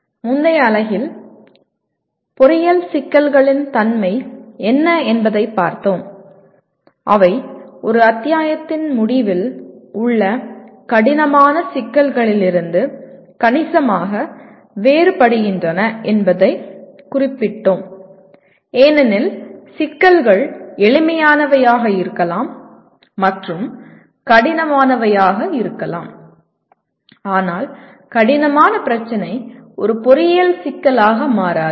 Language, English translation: Tamil, And in the earlier unit we looked at what is the nature of complex engineering problems and we noted that they are significantly different from the end chapter difficult problems because problems can be simple and difficult but a difficult problem does not become a complex engineering problem